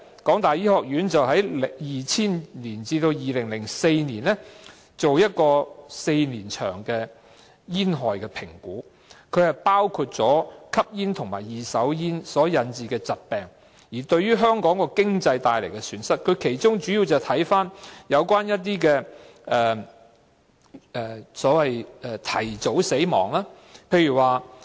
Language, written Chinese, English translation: Cantonese, 港大醫學院在2000年至2004年期間進行了一項為期4年的煙害評估，包括吸煙和二手煙所引致的疾病對香港帶來的經濟損失，當中主要涉及一些所謂提早死亡的個案。, This is the figure for 2005 . The Faculty of Medicine of HKU conducted a four - year assessment of smoking hazards between 2000 and 2004 which included the economic cost of diseases caused by active and passive smoking in Hong Kong mainly involving premature deaths